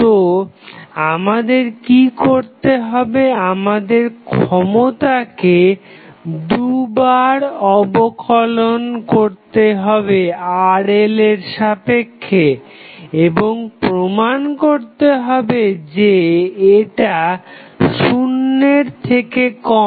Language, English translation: Bengali, So, what we have to do we have to double differentiate the power with respect to Rl and will prove that it is less than 0